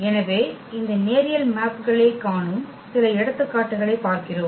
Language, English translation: Tamil, So, we go through some of the examples where we do see this linear maps